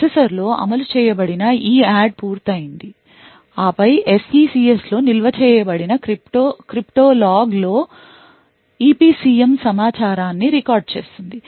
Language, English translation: Telugu, Then done is that EADD completed implemented in the processor will then record EPCM information in a crypto log that is stored in the SECS